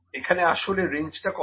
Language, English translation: Bengali, What is actually range